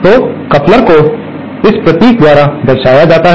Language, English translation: Hindi, So, couplers are represented by this symbol